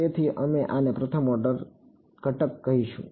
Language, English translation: Gujarati, So, we will call this a first order element